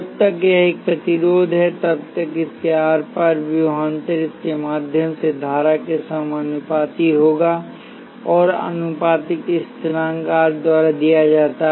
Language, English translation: Hindi, As long as it is a resistor, the voltage across it will be proportional to the current through it and the proportionality constant is given by R